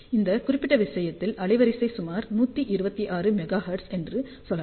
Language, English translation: Tamil, So, in this particular case we can say bandwidth is about 126 megahertz